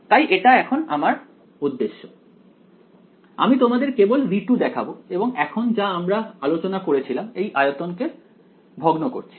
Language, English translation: Bengali, So, here is my object now I am just going to show you v 2 and now as we have discussed we are discretising the volume